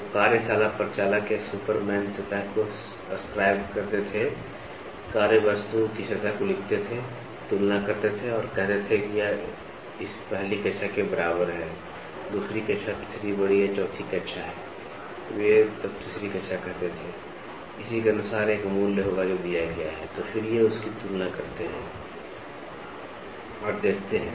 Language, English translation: Hindi, So, the workshop operator or the superman used to scribe the surface, scribe the workpiece surface, compare and say this is equal to this first grade, second grade, third greater or fourth grade, they used to say third grade then, correspondingly for this there will be a value which is given, so then, they compare it and see